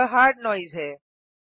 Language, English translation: Hindi, This is hard noise